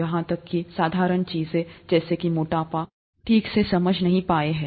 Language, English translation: Hindi, Even the simple things, such as obesity is not understood properly